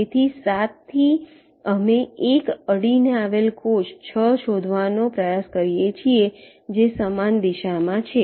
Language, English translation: Gujarati, so from seven, we try to find out an adjacent cell, six, which is in same direction